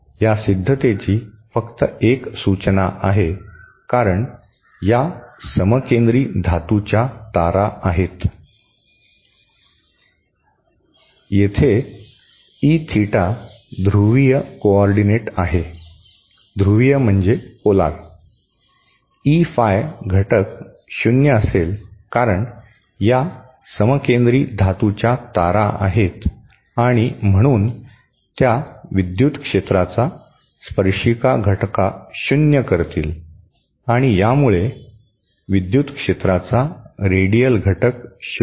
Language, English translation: Marathi, Just a hint to this proof is since that since these are concentric metal wires, so here the E theta is in polar coordinate, I beg your pardon T Phi component will be 0 because these are concentric metal line wires and so they will nullify the radial, the tangential component of the electric field and these will nullify the radial component of the electric field